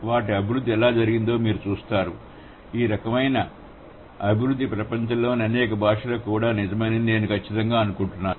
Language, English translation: Telugu, You see, I'm sure this kind of a development will also hold true for many of the world's languages